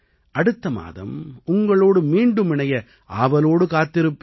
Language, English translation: Tamil, I am waiting to connect with you again next month